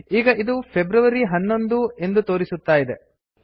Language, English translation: Kannada, Here it is showing February 11